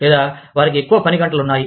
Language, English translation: Telugu, Or, they have long working hours